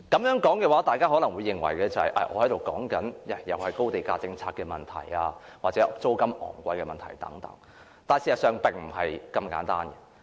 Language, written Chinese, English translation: Cantonese, 我這樣說，大家可能會認為我又在討論高地價政策或租金昂貴的問題等，但事實並不是這麼簡單。, Upon hearing these remarks some Members may think that I will discuss issues such as high land prices and high rent again; but the reality is not that simple